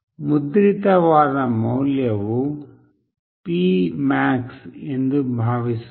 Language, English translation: Kannada, Suppose, the value which is printed is P max